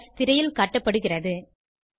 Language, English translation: Tamil, The syntax is as displayed on the screen